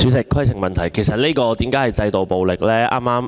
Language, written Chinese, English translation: Cantonese, 主席，為何稱這個情況為"制度暴力"？, President how come the present situation is described as institutional violence?